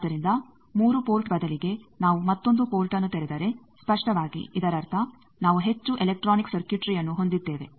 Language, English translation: Kannada, So, instead of 3 port if we open up another port obviously; that means, we are having more electronics circuitry